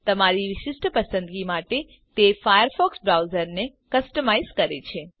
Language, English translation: Gujarati, It customizes the Firefox browser to your unique taste